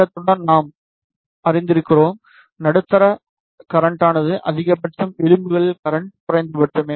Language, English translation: Tamil, Along the length we know that the middle them current is maximum, on the edges the current is minimum